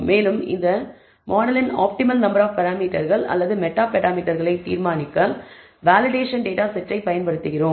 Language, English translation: Tamil, We call this the validation data set and we use the validation data set in order to decide the optimal number of parameters or meta parameters of this model